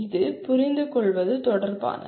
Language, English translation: Tamil, It is related to understand